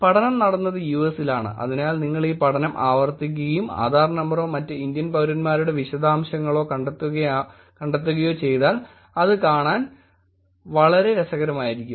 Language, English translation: Malayalam, The study was done in the US and therefore if you were to repeat this study and find out Adhaar number or others details of Indian Citizens it will be actually interesting to look at that